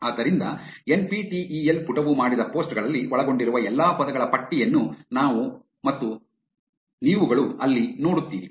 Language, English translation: Kannada, So, there you see a list of all the words that were contained in the posts that the NPTEL page did